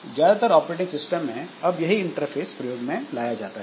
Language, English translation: Hindi, Most of the operating systems now we have got this graphical user interface